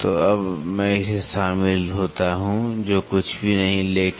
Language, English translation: Hindi, So, now, I join this which is nothing, but dell